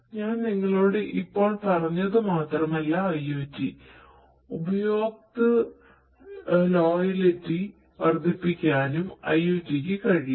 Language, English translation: Malayalam, IoT not only does what I just told you, but IoT is also capable of increasing the customer loyalty